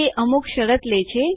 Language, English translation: Gujarati, It takes a condition